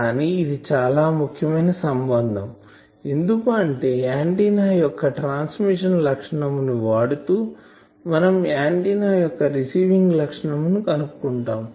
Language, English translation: Telugu, But this is a very useful relation because, if I know transmission characteristic of any antenna, this relates me to find the receiving characteristic of the antenna